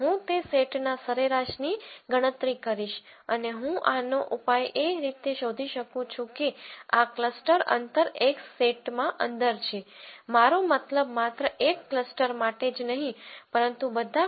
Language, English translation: Gujarati, I will calculate the mean of that set and I will find out a solution for this these means in such a way that this within cluster distance x which is in the set minus I mean is minimized not only for one cluster, but for all clusters